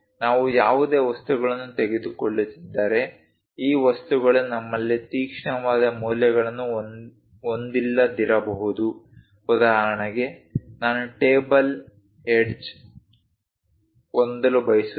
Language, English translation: Kannada, If we are taking any objects, these objects may not have very sharp corners something like if we have for example, I would like to have a table edge